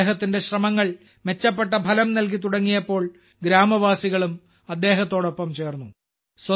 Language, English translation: Malayalam, When his efforts started yielding better results, the villagers also joined him